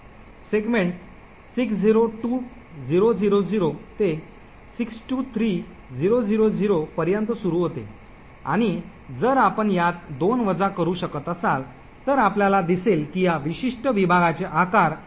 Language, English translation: Marathi, Segment starts at 602000 to 623000 and if you can actually subtract these 2 you would see that the size of this particular segment is 132 kilobytes